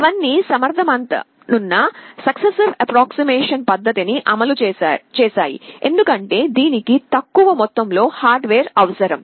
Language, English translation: Telugu, They all implemented successive approximation technique because it is efficient, because it requires less amount of hardware